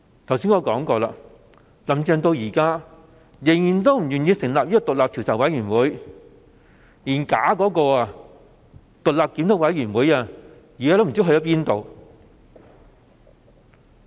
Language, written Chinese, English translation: Cantonese, 正如我剛才所說，"林鄭"至今仍然不願意成立獨立調查委員會，連那個濫竽充數的獨立檢討委員會也無影無蹤。, As I have said just now Carrie LAM is still unwilling to set up an independent commission of inquiry so far and even the independent review committee is still far from sight